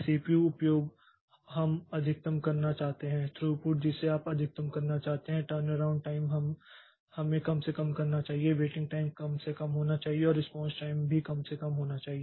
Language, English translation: Hindi, CPU utilization we want to maximize, throughput we want to maximize maximize turn around time should be minimized, waiting time should be minimized and response time should also be minimized